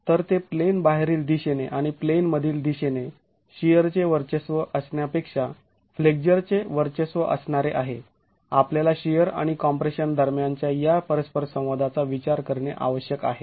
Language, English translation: Marathi, So it's flexure dominated rather than shear dominated in the out of plane direction and in the in plane direction we need to consider this interaction between shear and compression